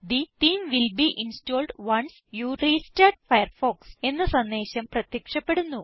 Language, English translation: Malayalam, A message that the theme will be installed once you restart Firefox is displayed